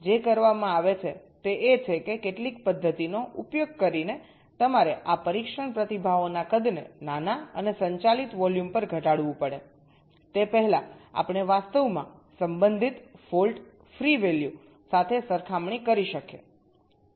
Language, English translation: Gujarati, so what is done is that, using some method, you have to reduce the size of these test responses to a small and manageable volume before we can actually compare with the corresponding fault free value